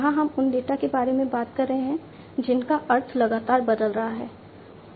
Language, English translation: Hindi, Here we are talking about the data whose meaning is constantly changing, right